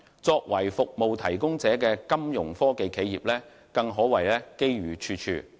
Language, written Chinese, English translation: Cantonese, 作為服務應用者的金融科技企業，更可謂機遇處處。, It can even be said that Fintech enterprises as service users are presented numerous opportunities